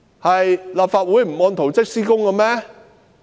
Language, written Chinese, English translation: Cantonese, 是立法會不按圖則施工嗎？, Is it the Legislative Council which deviated from the works plans?